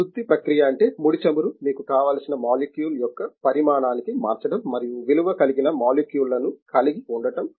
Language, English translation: Telugu, The refining process means having a crude oil converting them to the size of the molecule that you want and value added molecules